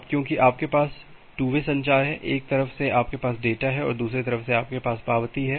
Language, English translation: Hindi, Now because if you have two way communication; in one way you have the data and another way you have the acknowledgement